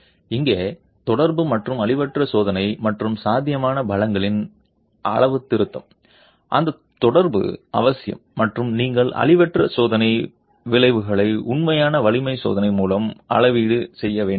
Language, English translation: Tamil, Here correlation and calibration of the non destructive test and the possible strengths, that correlation is essential and you have to calibrate the non destructive test outcomes with actual strength test